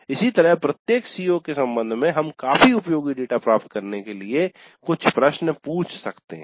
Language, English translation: Hindi, Similarly with respect to each CO we can ask certain questions to get data that is quite useful